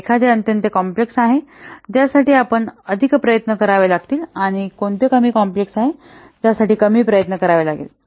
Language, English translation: Marathi, So which one is highly complex, we have to put more effort and which one is less complex, we have to put less effort